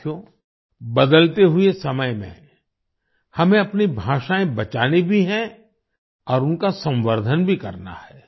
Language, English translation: Hindi, Friends, in the changing times we have to save our languages and also promote them